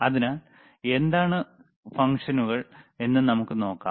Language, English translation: Malayalam, So, let us see what are the functions